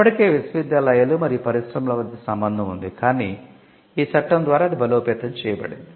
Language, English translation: Telugu, So, the link between universities and industry which was already there, but it got strengthened through this Act that was the first contribution